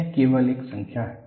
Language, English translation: Hindi, It is only a number